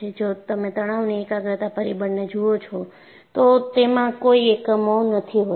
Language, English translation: Gujarati, If you look at stress concentration factor, it had no units